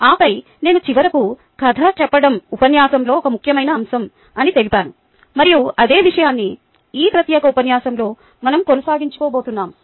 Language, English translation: Telugu, and then i finally said that story telling is an important aspect of the lecture and that is what we are going to continue with in this particular lecture